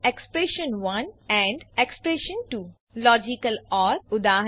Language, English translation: Gujarati, expression1 ampamp expression2 Logical OR eg